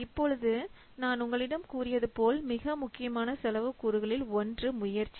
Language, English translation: Tamil, Now, as I have a little, one of the most important cost component is effort